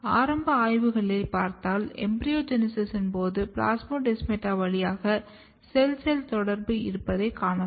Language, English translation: Tamil, If you look some of the initial studies, then you can find that cell cell communication via plasmodesmata during embryogenesis